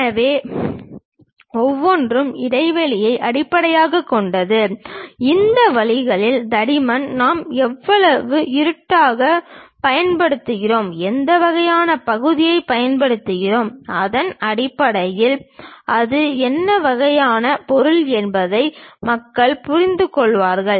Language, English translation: Tamil, So, each one based on the spacing, the thickness of this lines, how much darken we use, what kind of portions we use; based on that people will understand what kind of material it is